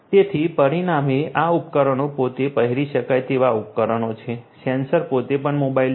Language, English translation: Gujarati, So, consequently this devices themselves are wearable devices, the sensors themselves are also a also mobile